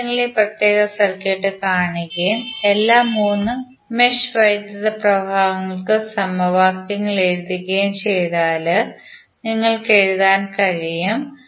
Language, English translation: Malayalam, So if you see this particular circuit and you write the equations for all 3 mesh currents what you can write